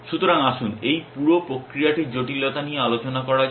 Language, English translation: Bengali, So, let us now discuss the complexity of this whole process